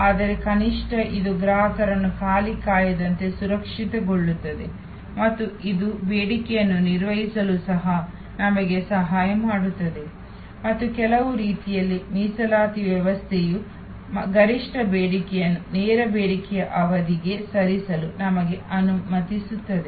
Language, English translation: Kannada, But, at least it safe customers from waiting an unoccupied and it also help us to manage the demand and in some way the reservations system allows us to move peak demand to a lean demand period